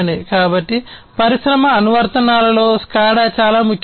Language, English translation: Telugu, So, SCADA is very important in industry applications